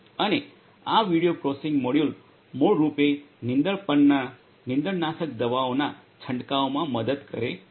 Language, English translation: Gujarati, And this video processing module basically helps in this spraying of the weedicides on the weeds